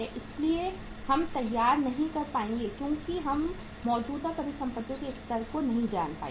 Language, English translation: Hindi, So we will not be able to prepare because we would not be knowing the level of current assets